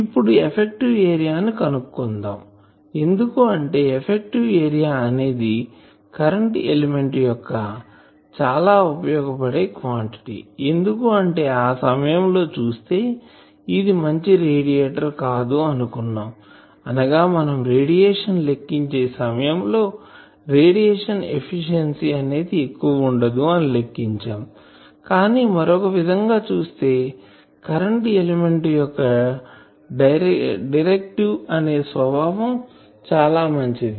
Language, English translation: Telugu, So, let us find that because effective area of a current element is a very useful quantity, because that time you have seen that it is not a very good radiator that means, we said that its radiation efficiency is not very high that we calculated that time